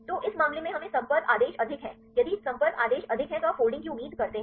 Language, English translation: Hindi, So, in this case we get the contact order is high if the contact order is high what do you expect the folding